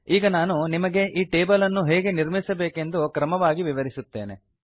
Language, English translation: Kannada, I will now explain to you how to create this table in a step by step fashion